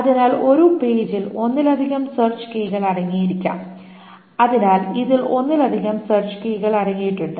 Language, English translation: Malayalam, So a single page can contain multiple search keys